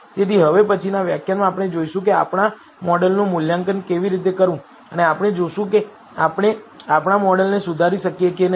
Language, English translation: Gujarati, So, in the next lecture we will see how to assess our model and we will see if we can improvise our model